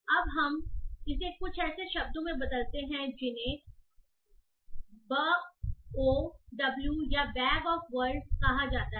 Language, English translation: Hindi, Now we convert it to something called as BOW or bag of words representation